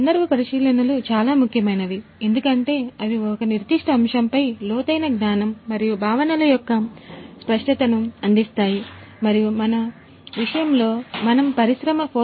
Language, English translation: Telugu, So, case studies are very important because they provide in depth knowledge and clarity of concepts on a particular topic and in our case we are talking about the industry 4